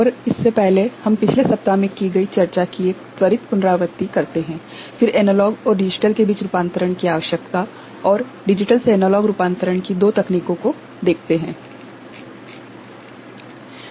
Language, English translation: Hindi, And before that we shall have a quick recap of what we discussed in the previous week, then need of conversion between analog and digital and two techniques for digital to analog conversion; so, that we shall see